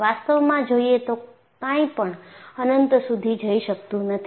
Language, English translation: Gujarati, In reality, nothing can go into infinity